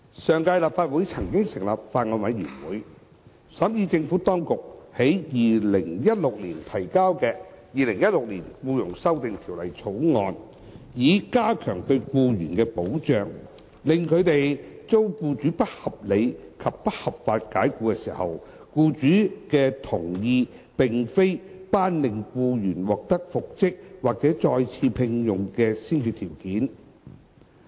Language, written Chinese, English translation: Cantonese, 上屆立法會曾成立法案委員會審議政府當局於2016年提交的《2016年僱傭條例草案》，以加強對僱員的保障，令他們遭僱主不合理及不合法解僱時，僱主的同意並非頒令僱員獲得復職或再次聘用的先決條件。, A Bills Committee has been set up by the last Legislative Council to scrutinize the Employment Amendment Bill 2016 introduced by the Administration in 2016 . The 2016 Bill sought to enhance protection of employees by proposing that the employers agreement would not be a prerequisite for ordering reinstatement or re - engagement of the employee in cases of unreasonable and unlawful dismissal